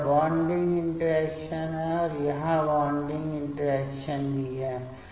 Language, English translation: Hindi, So, this is the bonding interaction and here also the bonding interaction